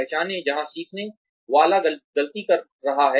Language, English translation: Hindi, Identify, where the learner is making mistakes